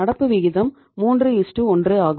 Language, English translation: Tamil, Current ratio is 3:1